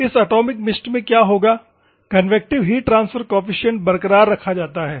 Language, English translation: Hindi, In this atomized mist, what will happen, the convective heat transfer coefficient is retained